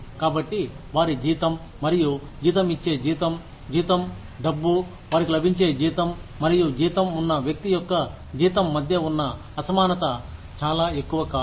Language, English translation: Telugu, So that, the disparity between their salary, and the salary of a salaried, the pay, the money, they get, and the salary of a salaried person, is not too much